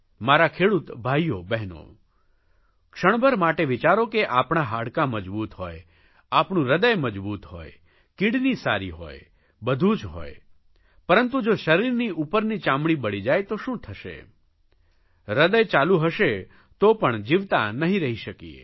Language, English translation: Gujarati, My dear farmer brothers and sisters, just think that if we have strong bones, strong heart, strong kidney, an overall good system but our upper skin gets burnt then what will happen